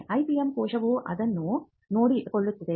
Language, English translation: Kannada, The IPM cell should be seen as a can do it